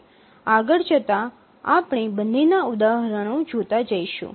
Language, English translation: Gujarati, We will see examples of both as we proceed